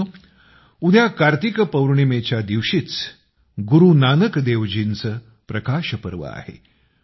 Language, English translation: Marathi, Friends, tomorrow, on the day of the full moon, is also the Prakash Parv of Guru Nanak DevJi